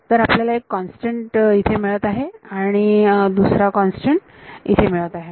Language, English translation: Marathi, So, what happens is that you get one constant here and another constant here